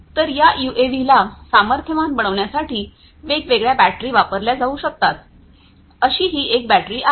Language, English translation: Marathi, So, there are different batteries that could be used to power these UAVs this is one such battery